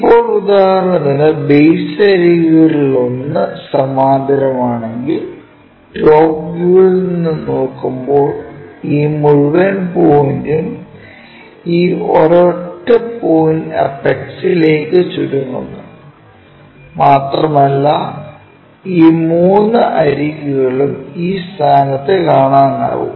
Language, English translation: Malayalam, Now, if one of the base edges for example, maybe this one or this one or the other one, one of the base edges parallel to; when we are looking from top view this entire point shrunk to this single point apex and we will be in the position to see this edges also those three edges